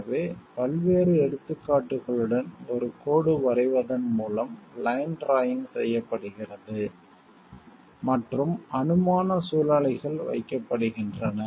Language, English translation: Tamil, So, line drawing is performed by drawing a line along the various examples and hypothetical situations are placed